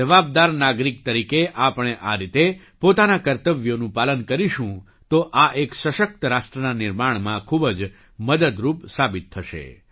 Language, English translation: Gujarati, If we perform our duties as a responsible citizen, it will prove to be very helpful in building a strong nation